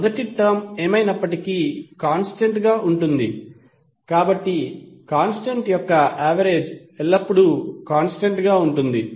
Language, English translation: Telugu, First term is anyway constant, so the average of the constant will always remain constant